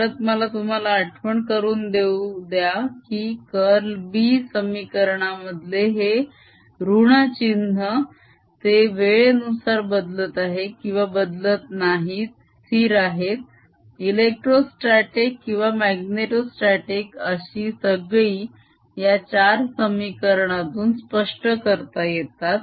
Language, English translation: Marathi, again, i want to remind you this minus sign, the curl of b equation, whether they are changing with the time, not changing with time, electrostatic, magnetostatic, everything is described by these four equations